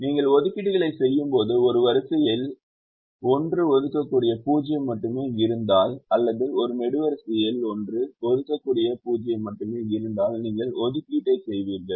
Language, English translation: Tamil, when you make assignments, if a row has only one assignable zero or a column has only one assignable zero, you will make the assignment